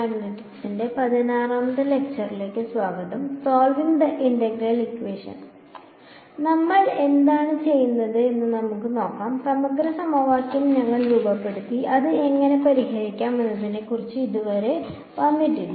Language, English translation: Malayalam, So, let us what we have done is we have just formulated the Integral Equation we have not yet come upon how do we actually solve it